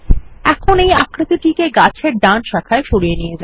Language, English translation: Bengali, Now move the shape to the right branch of the tree